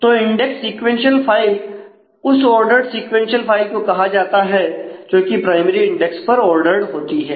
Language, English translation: Hindi, So, index sequential file is ordered sequential file which is ordered on the primary index